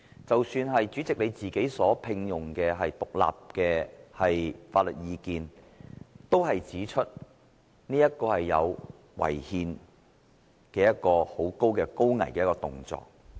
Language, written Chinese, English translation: Cantonese, 即使主席你所聘用的獨立法律人員的意見，也指出這是一個很可能違憲的高危動作。, Even the independent legal opinion obtained by you President also pointed out that these amendments may run high risks of being unconstitutional